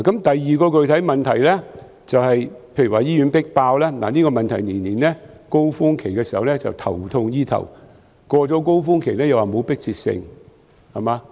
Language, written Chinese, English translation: Cantonese, 第二個具體問題是醫院"迫爆"，政府在每年的高峰期總是頭痛醫頭，過了高峰期便說沒有迫切性。, The second specific question is the over - crowdedness of hospitals . During the peak season each year the Government merely adopts stopgap measures to cope with the situation but when the peak season is over it will say that there is no urgency to deal with it